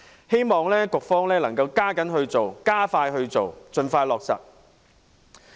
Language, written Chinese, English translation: Cantonese, 希望局方能加緊進行、加快處理，盡快落實。, I hope the Administration will quicken its pace expedite the process and implement the proposal in a timely manner